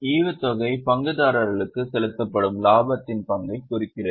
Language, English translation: Tamil, Dividend represents the share of profit which is paid to the shareholders